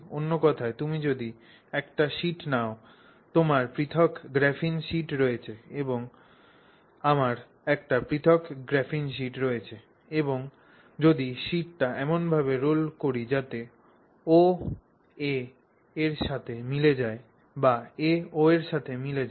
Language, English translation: Bengali, In other words if you also take a sheet you have a separate graphene sheet and I have a separate graphene sheet and if we are able to specify O and A like this and then and then roll the sheet such that O coincides with A or A coincides with O then the two tubes that we will get will be identical